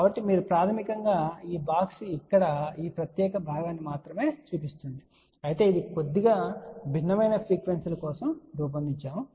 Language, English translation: Telugu, So, just you give you so basically what this box shows only this particular portion over here, of course this is designed for slightly different frequency